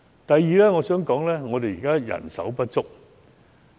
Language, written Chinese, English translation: Cantonese, 第二，香港現時人手不足。, Secondly Hong Kong is now short of manpower